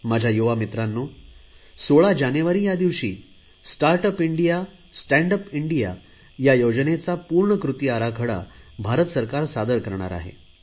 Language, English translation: Marathi, My dear young friends, the government will launch the entire action plan for "Startup India, Standup India on 16th January